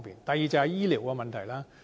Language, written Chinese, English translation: Cantonese, 第二，便是醫療的問題。, Another worry is the availability of medical services